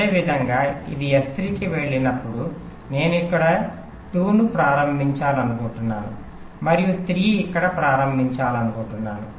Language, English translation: Telugu, similarly, when this goes to s three, i want to start two here and start three here